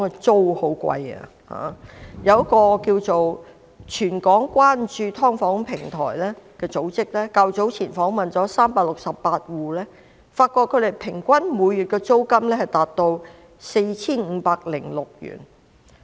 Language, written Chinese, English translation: Cantonese, 早前一個名為"全港關注劏房平台"的組織訪問了368個住戶，發現他們的平均每月租金達 4,506 元。, Earlier on an organization called Platform Concerning Subdivided Flats and Issues in Hong Kong interviewed 368 households and found that their average monthly rent was as much as 4,506